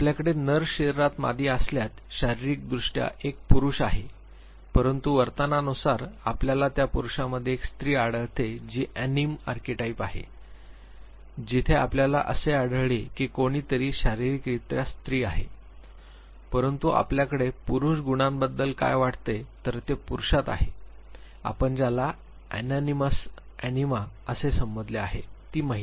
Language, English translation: Marathi, If you have female in the male body, physically one is male, but behaviorally you find a female in that male that is anima archetype where you find that somebody is female physically, but has what you think of Malely qualities then it is male in the female what you referred as Animus, Anima